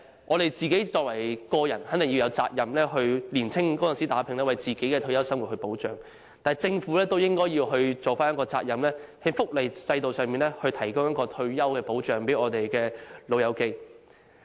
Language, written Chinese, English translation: Cantonese, 我們個人肯定有責任在年青時打拼，以保障自己的退休生活，但政府也應負上責任，在福利制度上為長者提供退休保障。, It is definitely correct that we have to work hard during our younger years to ensure protection for our retirement life yet the Government is also obliged to provide retirement protection to the elderly under the welfare system